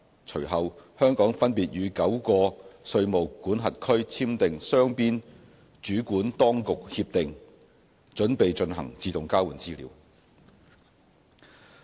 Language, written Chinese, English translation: Cantonese, 隨後，香港分別與9個稅務管轄區簽訂雙邊主管當局協定，準備進行自動交換資料。, After that Hong Kong has signed bilateral Competent Authority Agreements with nine jurisdictions respectively to prepare for AEOI